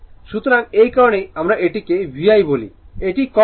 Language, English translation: Bengali, So, that is why you are what you call that VI it is cos theta